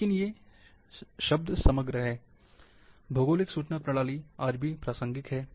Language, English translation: Hindi, But the overall term, Geographic Information System serves still today